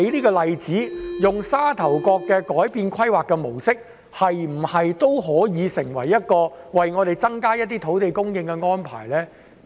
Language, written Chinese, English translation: Cantonese, 改變沙頭角的規劃模式，能否成為增加土地供應的安排呢？, Can we change the planning model of Sha Tau Kok to increase land supply?